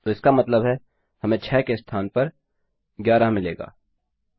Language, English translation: Hindi, So, that means, instead of 6 we will get 11